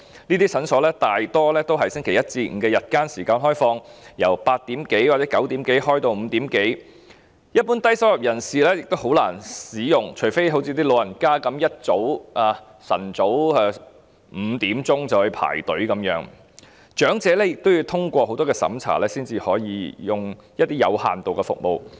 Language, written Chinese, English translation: Cantonese, 這些診所大多是星期一至星期五的日間時間開放，由早上8時多或9時多開放至下午5時多，一般低收入人士亦很難使用，除非像長者般一大清早5時便到場排隊，但長者亦要通過很多審查才可以使用一些有限度的服務。, These clinics mostly open during the daytime from Monday to Friday and from around 8col00 am or 9col00 am until around 5col00 pm . It is difficult for the low - income earners in general to use their services unless they go there to wait in the queue very early in the morning at 5col00 am just as the elderly are doing but the elderly still have to go through a lot of tests in order to be eligible for some limited services